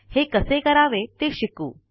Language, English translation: Marathi, Let us now learn how to do this